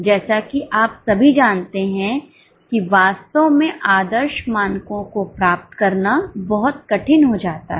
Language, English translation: Hindi, As you all know, it becomes really very difficult to achieve ideal standards